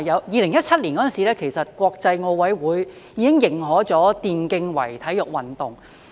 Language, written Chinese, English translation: Cantonese, 2017年的時候，國際奧林匹克委員會已經認可電競為體育運動。, In 2017 the International Olympic Committee recognized e - sports as a sport